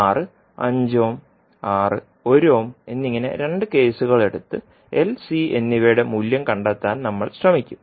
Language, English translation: Malayalam, So we will take 2 cases where R is 5 ohm and R is 1 ohm and we will try to find out the value of L and C